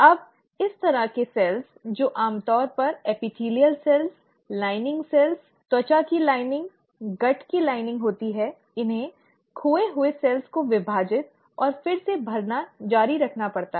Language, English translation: Hindi, Now these kind of cells, which are usually the epithelial cells, the lining cells, the lining of the skin, the lining of the gut, they have to keep on dividing and replenishing the lost cells